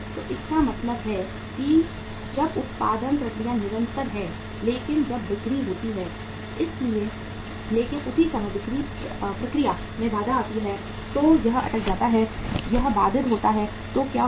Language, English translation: Hindi, So it means when the production process is continuous but when the selling but at the same time selling process is hampered, it is stuck, it is interrupted so what happened